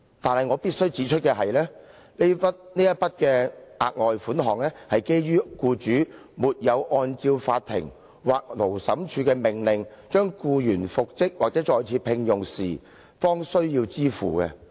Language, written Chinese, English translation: Cantonese, 但是，我必須指出的是，這筆額外款項，是基於僱主沒有按照法庭或勞審處的命令將僱員復職或再聘用時，方需要支付。, However I must point out that the further sum is only payable when the employer has failed to comply with an order for reinstatement or re - engagement made by the court or Labour Tribunal